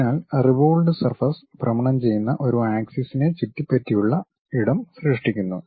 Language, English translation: Malayalam, So, a revolved surface is generated space go about an axis of rotation